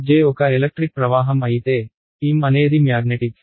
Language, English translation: Telugu, If J was a electric current then, M is a